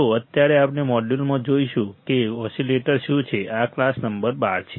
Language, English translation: Gujarati, So, right now the modules we will see what the oscillators are, this is class number 12